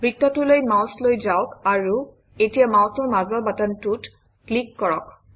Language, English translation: Assamese, Move the mouse to the circle and now click the middle mouse button